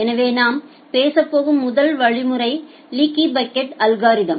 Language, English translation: Tamil, So, the first mechanism that we are going to talk about is leaky bucket algorithm